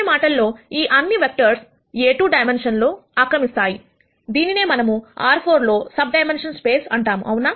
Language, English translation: Telugu, So, in other words all of these vectors would occupy a 2 dimensional, what we call as a subspace in R 4 right